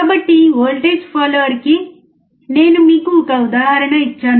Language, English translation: Telugu, So, I have given you an example of voltage follower